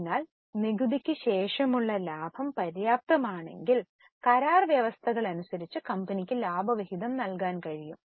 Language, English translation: Malayalam, So if the profit after tax is sufficient, the company will be able to pay the dividend as per the contracted terms